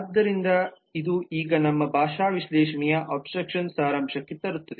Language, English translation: Kannada, so this now brings us to the abstraction summary of our linguistic analysis